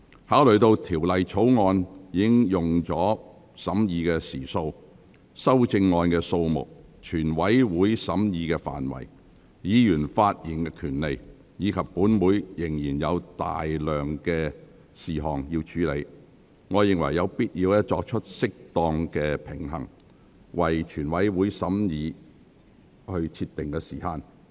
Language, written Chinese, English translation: Cantonese, 考慮到《條例草案》已耗用的審議時數、修正案的數目、全體委員會審議的範圍、議員發言的權利，以及本會仍有大量事項需要處理，我認為有必要作出適當平衡，為全體委員會審議設定時限。, Considering the hours spent on the scrutiny of the Bill the number of amendments to the Bill the scope of deliberation of the committee of the whole Council Members right to speak and a large number of outstanding business of this Council I think I have to strike a proper balance and set the time limit for deliberation in the committee of the whole Council